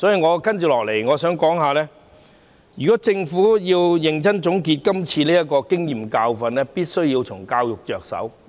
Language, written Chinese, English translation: Cantonese, 我接下來想指出，如果政府要認真總結今次的經驗和教訓，就必須從教育着手。, Next I wish to point out that if the Government wants to seriously draw lessons from this incident it must begin with education